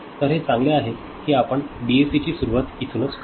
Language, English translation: Marathi, So, it is better that we start from DAC right